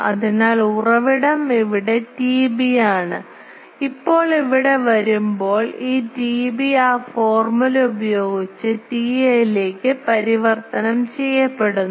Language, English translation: Malayalam, So, the source is here T B, now that when it comes here this T B gets converted to T A by that formula